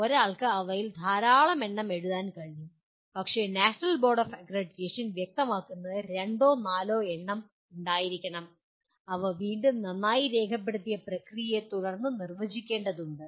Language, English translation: Malayalam, One can write large number of them, but the National Board Of Accreditation specifies there should be two to four in number and need to be defined again following a well documented process